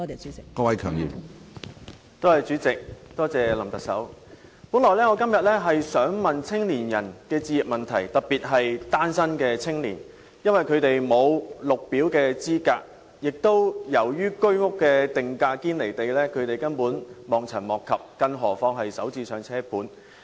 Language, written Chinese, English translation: Cantonese, 主席，林特首，我本來今天想問青年人的置業問題，特別是單身的青年，因為他們沒有綠表資格，亦由於居屋定價"堅離地"，他們根本望塵莫及，更何況是"首置上車盤"。, President Chief Executive I initially wanted to ask a question on home ownership of the young people particularly the young singletons because they are not eligible for Green Form status and also because the price of the Home Ownership Scheme flats is so unrealistically high that they simply cannot catch up with the surging prices not to mention to purchase their first homes